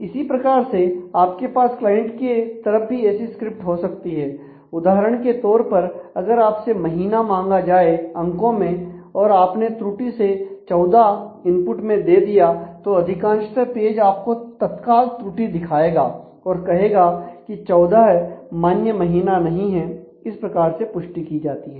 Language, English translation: Hindi, Similarly, you could have script an client side also for example, if you are entering data for say a month and in numeric and you happened to enter 14; then in most cases the page will immediately give a error saying that 14 cannot be a valid month; so, there is a validation involved